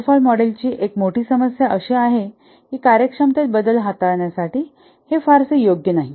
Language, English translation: Marathi, One of the major problem with the waterfall model is that it is not very suitable to handle changes to the functionalities